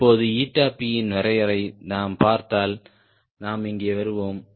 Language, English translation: Tamil, now, if we see that the definition of eta p, we will come here